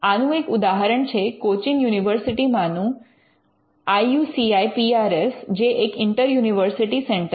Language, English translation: Gujarati, Now, we have one in cochin university it is called the IUCIPRS which is in centre it is an inter university centre